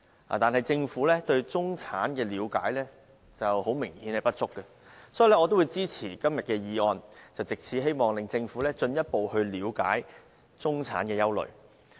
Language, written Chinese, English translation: Cantonese, 但是，明顯地，政府對中產的了解並不足夠，所以我會支持今天的議案，希望藉此令政府進一步了解中產的憂慮。, Apparently however the Government does not have enough understanding of the middle class and so I will support todays motion in hopes of helping the Government better understand the middle classs concerns